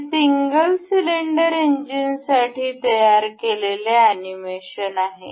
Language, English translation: Marathi, This is the animation generated for this single cylinder engine